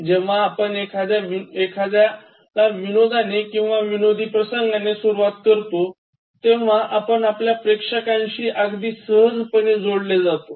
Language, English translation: Marathi, If you begin with a joke or if you try to start with a kind of humourous anecdote, that will actually make the audience relate to you very easily